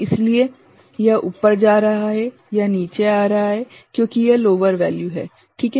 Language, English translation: Hindi, So, it is going up here it is coming down because it is lower value ok